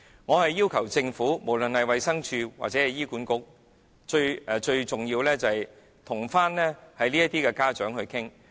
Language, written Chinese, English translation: Cantonese, 我要求政府，不論是衞生署或醫院管理局也好，最重要的是跟這些人的家長討論。, I ask the Government be it the Department of Health or the Hospital Authority to discuss with the parents of these people a discussion which is most important